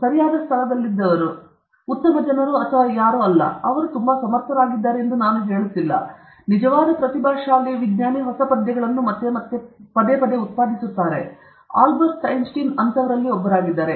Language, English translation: Kannada, I am not saying that those who were in the right place, in the right time, are not great people or whatever, they are also very competent, but a true genius is one who repeatedly generates lot of new ideas; Albert Einstein was one